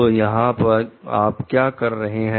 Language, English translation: Hindi, So, here what is you are doing